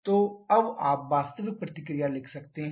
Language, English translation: Hindi, So, now you can write the actual reaction